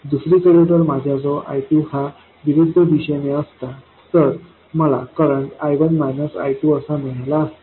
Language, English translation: Marathi, On the other hand if I had I2 in the opposite direction, I would have got I1 minus I2